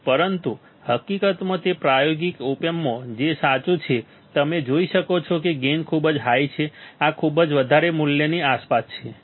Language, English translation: Gujarati, But in truth in true that is in experimental op amps in practical op amps, you will see that the gain is gain is very high is about this much value, around this much value ok